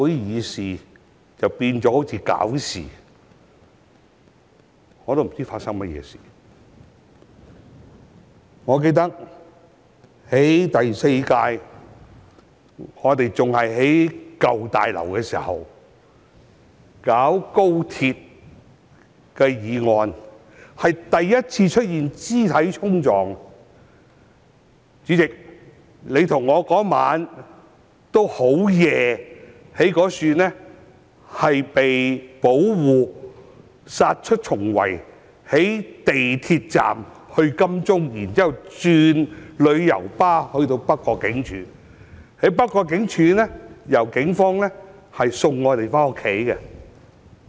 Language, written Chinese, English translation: Cantonese, 主席，那天夜深時，你和我在警方保護下，從舊大樓那裏殺出重圍到地鐵站乘列車前往金鐘，然後轉乘旅遊巴到達北角警署。在北角警署，由警方護送我們回家。, President late at night that day you and I fought our way out of the besieged old Legislative Council Building under police protection and went to the MTR station to catch a train to Admiralty before boarding a coach to North Point Police Station from where we were escorted home by the Police